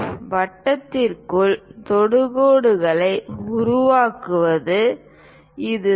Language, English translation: Tamil, This is the way we construct tangents to circles